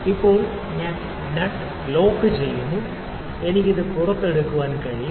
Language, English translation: Malayalam, Now, I locked the nut now I can take this out